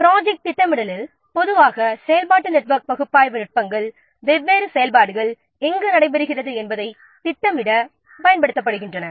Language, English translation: Tamil, In project scheduling, normally activity network analysis techniques they are used to plan when the different activities should take place